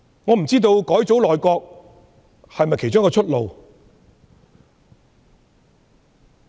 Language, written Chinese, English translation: Cantonese, 我不知道改組內閣是否其中一條出路。, I have no idea if reshuffling her governing team is one of the ways out